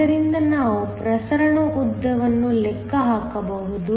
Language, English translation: Kannada, So, we can then calculate the diffusion length